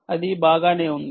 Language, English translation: Telugu, it is already there